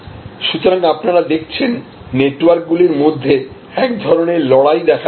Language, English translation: Bengali, So, you can see here, there is a kind of a emerging battle between or among networks